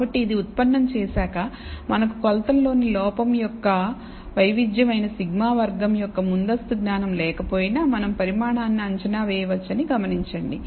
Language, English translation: Telugu, And so, having derived this, notice that even if we do not have a priori knowledge of sigma square which is the variance of error in the measurements we can estimate this quantity